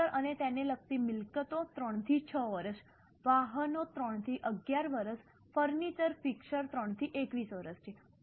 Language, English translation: Gujarati, Computers and IT related assets is 3 to 6 years, vehicles 3 to 11 years, furniture fixtures 3 to 21 years